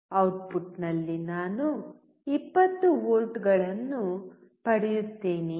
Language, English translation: Kannada, Would I get 20 volts at the output